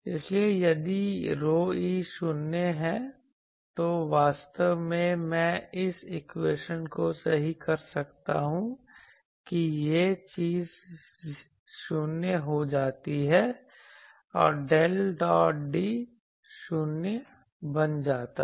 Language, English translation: Hindi, So, if rho e is 0, then actually I can correct this equation that this thing becomes 0 and del dot D that now becomes 0